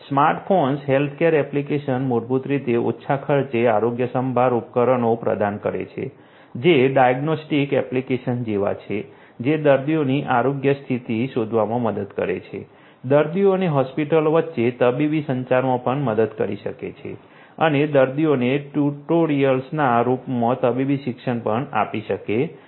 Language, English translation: Gujarati, Smart phones healthcare app basically provides low cost healthcare devices which are sort of like diagnostic apps that help in detecting the health condition of patients; can also help in medical communication between the patients and the hospitals and can also offered medical education in the form of tutorials to the patients